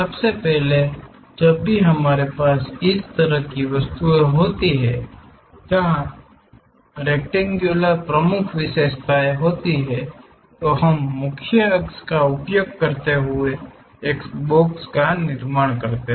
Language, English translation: Hindi, First of all, whenever we have such kind of objects where rectangles are the dominant features we go ahead construct a box, using principal axis